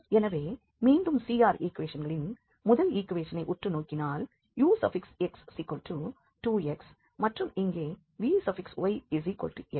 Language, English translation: Tamil, So again, the CR equations we can observe that ux is equal to vy